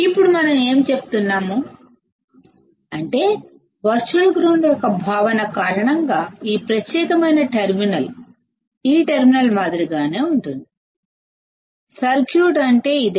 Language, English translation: Telugu, Now, what we are saying is that this particular terminal will be similar to this terminal because of the concept of virtual ground; this is what the circuit is